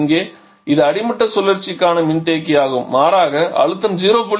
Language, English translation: Tamil, So, here the this condenser for the bottoming cycle rather pressure is 0